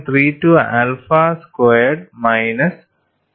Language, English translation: Malayalam, 32 alpha squared minus 2